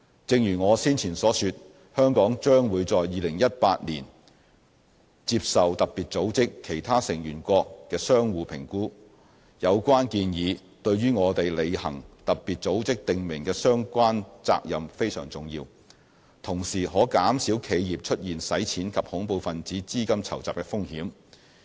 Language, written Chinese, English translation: Cantonese, 正如我先前所說，香港將會在2018年接受特別組織其他成員國的相互評估，有關建議對於我們履行特別組織訂明的相關責任非常重要，同時可減少企業出現洗錢及恐怖分子資金籌集的風險。, As I mentioned earlier Hong Kong will undergo a mutual evaluation by other member states of FATF in 2018 . The proposals are thus pertinent to our fulfilment of the relevant FATF obligations and can also reduce the risk of money laundering and terrorist financing in enterprises